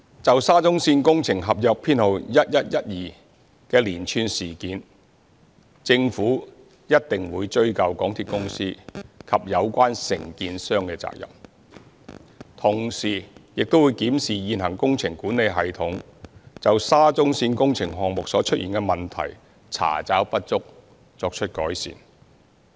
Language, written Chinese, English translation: Cantonese, 就沙中線工程合約編號1112的連串事件，政府一定會追究港鐵公司及有關承建商的責任，同時亦會檢視現行工程管理系統就沙中線工程項目所出現的問題，查找不足，作出改善。, Concerning the series of incidents surrounding construction Contract No . 1112 of SCL the Government will definitely hold MTRCL and the contractors concerned accountable and at the same time examine the problems with the existing project management system in respect of the SCL project so as to identify inadequacies and make improvement